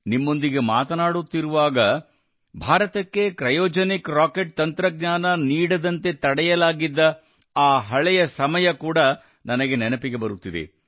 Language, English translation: Kannada, While talking to you, I also remember those old days, when India was denied the Cryogenic Rocket Technology